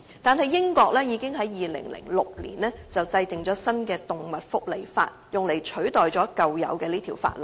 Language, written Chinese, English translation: Cantonese, 然而，英國已於2006年制定新的《動物福祉法令》，用以取代舊有的法例。, And yet the United Kingdom enacted the new Animal Welfare Act AWA in 2006 to replace the old act